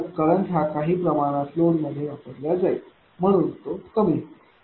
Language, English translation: Marathi, Therefore, some current will go to the load therefore, it will decrease